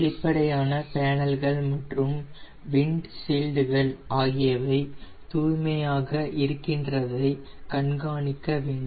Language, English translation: Tamil, check all transparent panels and windshields for cleanliness and condition